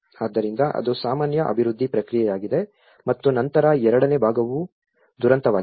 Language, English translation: Kannada, So that is the usual development process and then the second part is the disaster